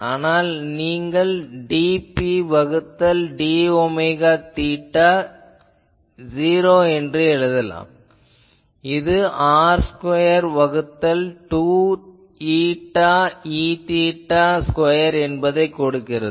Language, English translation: Tamil, So, you can write that dP by d omega theta 0 that will give you r square by 2 eta E theta square